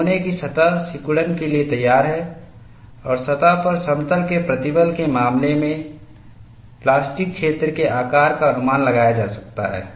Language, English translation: Hindi, The surface of the specimen is ready to contract and the plastic zone shape can be approximated to be as that for plane stress case at the surface